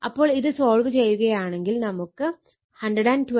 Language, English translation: Malayalam, So, if you solve it it will be 120